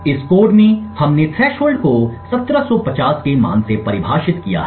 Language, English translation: Hindi, In this code we have defined the threshold to a value of 1750